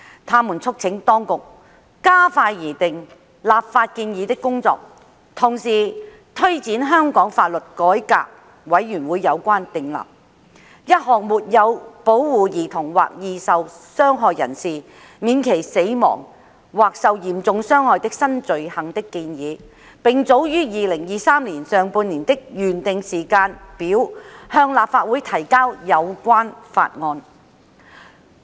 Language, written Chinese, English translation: Cantonese, 他們促請當局加快擬訂立法建議的工作，同時推展香港法律改革委員會有關訂立沒有保護兒童或易受傷害人士免其死亡或受嚴重傷害的新罪行的建議，並早於2023年上半年的原訂時間表向立法會提交有關法案。, They urged the Administration to expedite the preparation of the legislative proposal while at the same time taking forward the recommendation of the Law Reform Commission of Hong Kong on the introduction of a new offence of failure to protect a child or vulnerable person from death or serious harm with the bill concerned introduced ahead of the original schedule to the Legislative Council in the first half of 2023